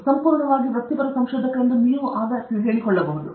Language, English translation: Kannada, Only then, you can say that you are a fully professional researcher